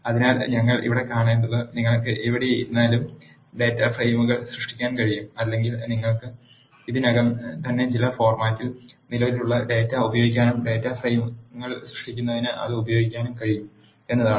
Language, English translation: Malayalam, So, what we have seen here is you can either create data frames on the go or you can use the data that is already existing in some format and use that to create data frames